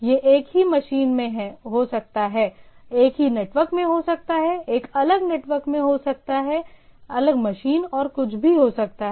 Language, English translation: Hindi, It can be in the same machine, can be in the same network, can be in a different network, different machine and anything right